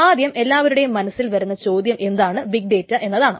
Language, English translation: Malayalam, The first question that everybody has in mind is what is big data